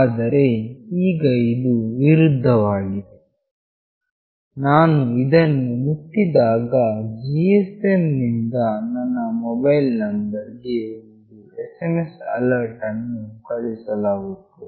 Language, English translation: Kannada, But now it is just the opposite, when I touch this an SMS alert from this GSM will be sent to my mobile number